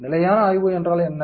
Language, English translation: Tamil, What is the stationary study